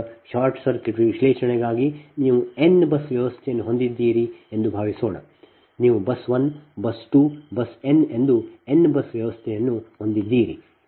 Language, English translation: Kannada, right now for short circuit analysis, suppose you have a in bus power system, right, you have a n bus power system, that is bus one, bus two, bus n